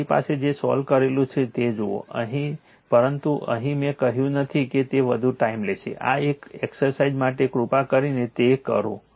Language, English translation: Gujarati, Look whole solutions I have, but here I did not put it will consume more time, this is an exercise for you please do it right